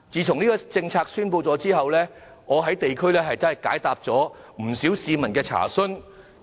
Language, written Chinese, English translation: Cantonese, 這項政策公布後，我在地區解答了不少市民的查詢。, After the announcement of this measure I have answered the queries raised by quite many people in the districts